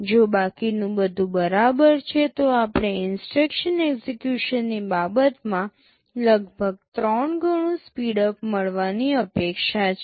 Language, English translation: Gujarati, If everything else is fine, we are expected to get about 3 times speedup in terms of instruction execution